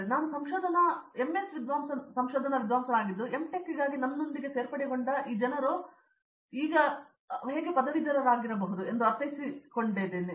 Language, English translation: Kannada, Second thing is like I mean like I am an MS research scholar so this people who have joined with me for M Tech, they might be graduated by now